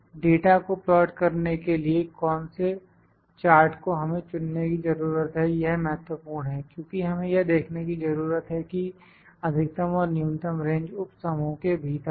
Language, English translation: Hindi, Which chart we need to plot, which chart we need to select to plot the data because we need to see the maximum and the minimum range within the subgroup